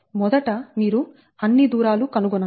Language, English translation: Telugu, so first you calculate all the distances right